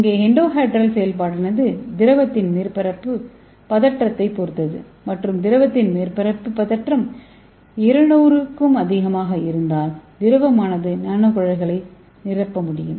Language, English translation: Tamil, And here the endohedral functionalisation depends on this surface tension of the liquid and if the surface tension of the liquid is more than 200 the liquid can fill the nano tubes